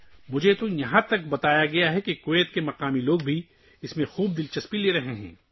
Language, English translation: Urdu, I have even been told that the local people of Kuwait are also taking a lot of interest in it